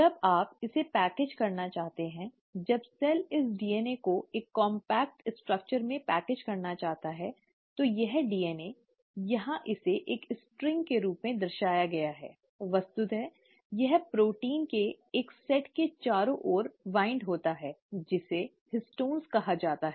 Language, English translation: Hindi, When you want to package it, when the cell wants to package this DNA into a compact structure, this DNA, here it's represented as a string, actually winds around a set of proteins called as the ‘Histones’